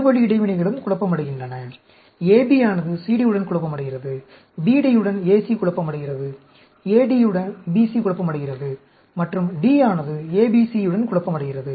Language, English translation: Tamil, The two way interactions are also confounded; AB in confounding with CD, AC confounding with BD, BC confounding with AD, and D confounding with ABC